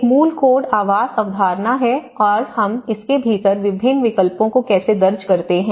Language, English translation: Hindi, So, there is a basic code dwelling concept and how we tailor different options within it